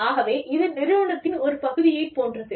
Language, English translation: Tamil, So, it is like having, a part of the organization